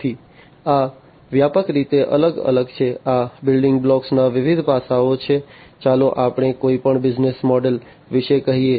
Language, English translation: Gujarati, So, these are the different broadly, these are the different aspects the building blocks, let us say of any business model